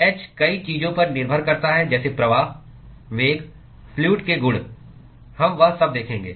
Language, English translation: Hindi, h depends on many things like flow, velocity, properties of the fluid we will see all that